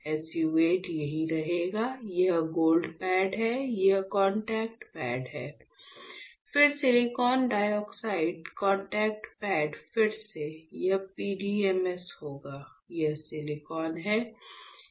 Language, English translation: Hindi, So, SU 8 will stay here, this is my gold pad, these are contact pads, then silicon dioxide, contact pads again, this one would be PDMS, this is my silicon